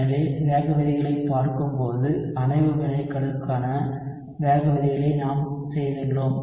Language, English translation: Tamil, So when we were looking at rate laws we had done derivation of rate laws for complex reactions